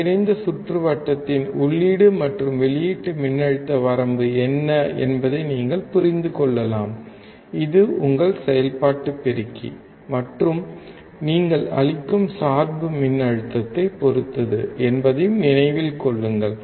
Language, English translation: Tamil, You can understand what is the input and output voltage range of the integrated circuit, that is your operational amplifier and also remember that it depends on the bias voltage that you are applying